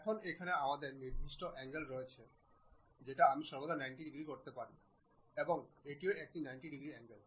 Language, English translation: Bengali, Now, here we have certain angles I can always make 90 degrees and this one also 90 degrees